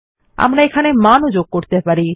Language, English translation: Bengali, And you can insert values in them